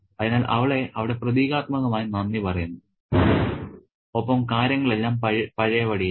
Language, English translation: Malayalam, So, she is thanked there symbolically and things are back in place